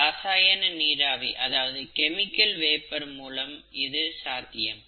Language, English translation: Tamil, It is done by using chemical vapours, okay